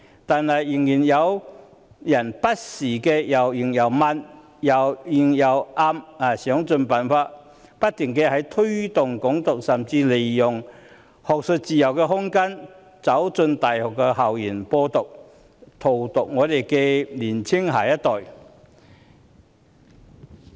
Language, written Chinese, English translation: Cantonese, 但是，仍然有人不時或明或暗地想盡辦法，不停推動"港獨"，甚至利用學術自由的空間，走進大學校園"播獨"，荼毒年青一代。, However there are still some people who try unceasingly to promote Hong Kong independence by all means either openly or covertly . They have even made use of the room for academic freedom and spread the independence message in university campus to poison the minds of the younger generation